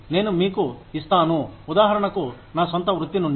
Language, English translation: Telugu, I will give you an example, from my own profession